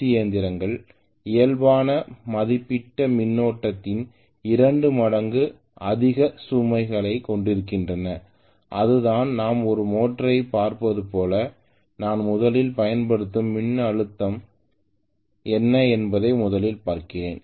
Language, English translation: Tamil, Generally, many of the DC machine have the overload capability of 2 times the normal rated current that is the way it is where as if I am looking at a motor, right I am looking at first of all what is the voltage that I am applying